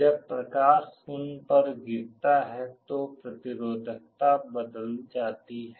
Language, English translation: Hindi, When light falls on them the resistivity changes